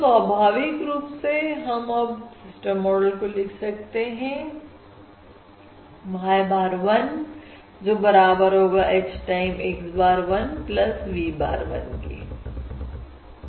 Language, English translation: Hindi, all right, So, naturally, let us now denote the system model by: y bar of 1 equals h times x bar of 1 plus v bar of 1